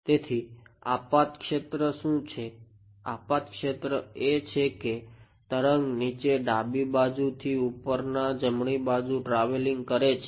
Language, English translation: Gujarati, So, what is the incident field, incident field is a wave travelling from bottom left to top right